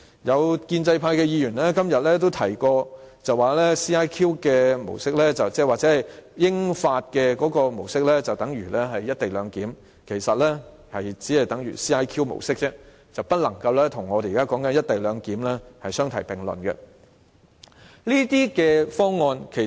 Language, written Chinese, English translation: Cantonese, 有建制派議員今天也提及 ，CIQ 模式或英法模式等於"一地兩檢"，其實這只是等於 CIQ 模式而已，不能與我們現時討論的"一地兩檢"相提並論。, Some Members of the pro - establishment camp have said today that CIQ clearance or the model adopted by the United Kingdom and France is tantamount to the co - location arrangement proposed by the Government . Actually it is only CIQ clearance and cannot be mentioned in the same breath with the co - location arrangement under discussion now